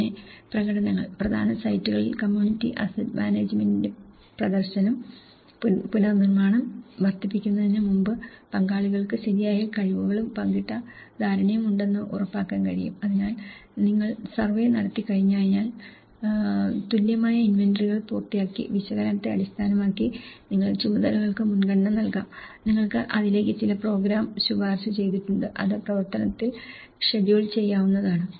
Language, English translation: Malayalam, Then, the demonstrations; demonstration of the community asset management at key sites, which can ensure the stakeholders are equipped with the right skills and shared understanding before the rebuilding is scaled up, so, once you done the survey, when you are done the even inventories and based on the analysis, you have prioritize the tasks, you have recommended certain program to it and which could be scheduled in action